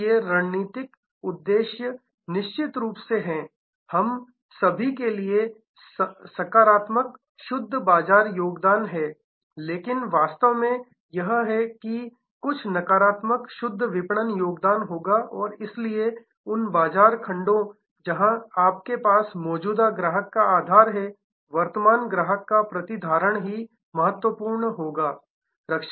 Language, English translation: Hindi, So, strategic objective is of course, all across we have positive net market contribution, but in reality that is the there will be some negative net marketing contribution and therefore, those market segments, where you have existing customer base retention of that existing customer base crucial